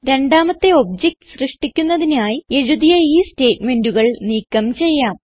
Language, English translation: Malayalam, We can remove the statement for creating the second object